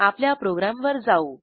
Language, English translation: Marathi, Come back ot our program